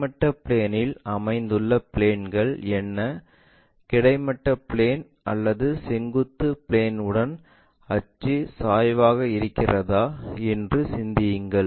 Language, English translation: Tamil, Think about it what are the points resting on horizontal plane, is the axis incline with the horizontal plane or vertical plane